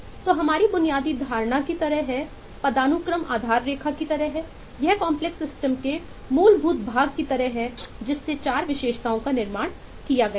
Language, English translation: Hindi, so it’s kind of our basic assumption: is hierarchy is the kind of base line, is kind of the foundational part of the complex system on which the remaining 4 attributes are eh built up